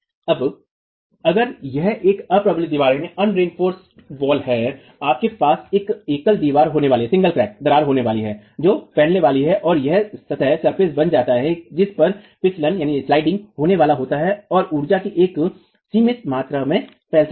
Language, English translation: Hindi, Now if it is an unreinforced wall, you are going to have one single crack that propagates and becomes the surface on which the sliding is going to occur and can dissipate a limited amount of energy